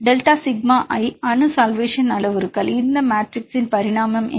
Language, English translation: Tamil, Delta sigma I atomic solvation parameters what is the dimensional of this matrix